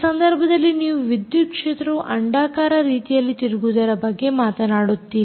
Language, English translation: Kannada, in this case you talk about electric field rotating, ah, electric field rotating with an elliptical pattern in this case